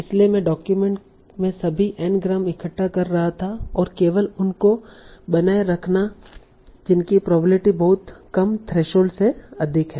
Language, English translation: Hindi, So I was gathering all the endgrams in the document and returning only those whose probability exceeds a very low 3 short